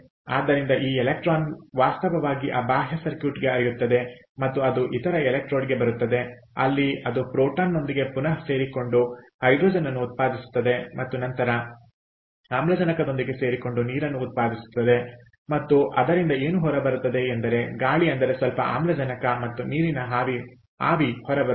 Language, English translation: Kannada, ok, so this electron actually flows to that external circuit and it comes to the other electrode where it recombines with the proton to produce hydrogen, which then combines with the oxygen to produce water, and what comes out, therefore, is the air minus some oxygen and water vapour, ok, and its an exothermic reaction